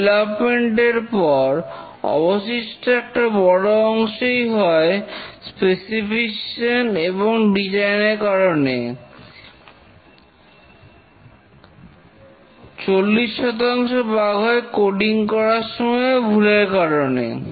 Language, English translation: Bengali, Typically, majority of the bug that remain after development pertain to the specification and design, 40% of the bugs are based on the coding mistakes